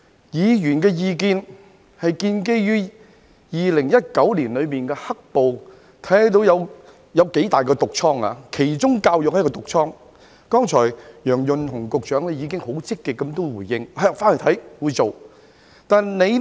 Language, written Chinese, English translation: Cantonese, 議員的意見是建基於2019年的"黑暴"，看到有多麼大的"毒瘡"——教育是其中一個"毒瘡"，楊潤雄局長剛才已經很積極的回應，表示回去會看看，他會做。, Members views are made against the background of the black - clad violence in 2019 . We have seen a big malignant boil―education is one of these malignant boils and Secretary Kevin YEUNG has responded positively just now that he would look into it when he goes back and that he would do something about it